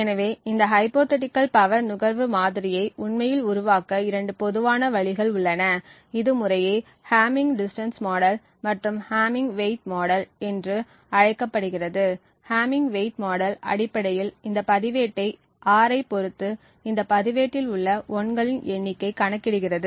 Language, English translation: Tamil, So there are two common ways by which this hypothetical power consumption model can be actually created and this is known as the hamming distance model and the hamming weight model respectively, so in the hamming weight model the model essentially looks at this register R and counts the number of 1s that are present in this register R